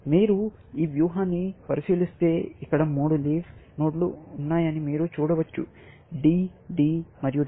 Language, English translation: Telugu, If you look at this strategy, then you can see that there are three leaf nodes here; D, D, and W